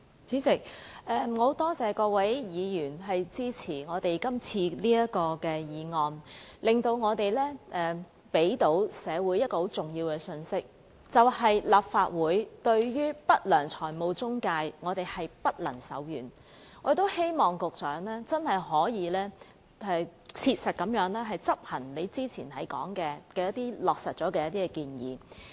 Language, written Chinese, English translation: Cantonese, 主席，我多謝各位議員支持今天這項議案，讓我們向社會帶出一個重要信息，就是立法會對不良財務中介不會手軟，我們亦希望局長可以切實執行他之前提到的一些已落實的建議。, President I thank Members for supporting the motion today . This allows us to convey a very important message to society that is the Legislative Council will not spare the unscrupulous intermediaries and we hope the Secretary will effectively implement certain confirmed proposals he mentioned earlier